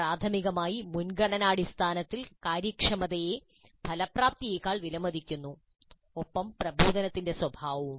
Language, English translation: Malayalam, But primarily the priority way if we see efficiency is valued over effectiveness as well as engaging nature of the instruction